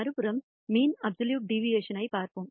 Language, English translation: Tamil, On the other hand, let us look at the mean absolute deviation